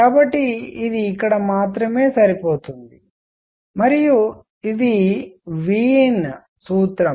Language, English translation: Telugu, So, it matches only here and this is Wien’s formula